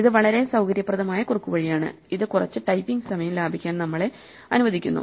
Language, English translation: Malayalam, This is a very convenient shortcut which allows us to save some typing